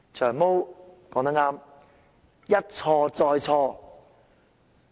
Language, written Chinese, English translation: Cantonese, "長毛"說得對："一錯再錯"。, Long Hair was right in saying repeated mistakes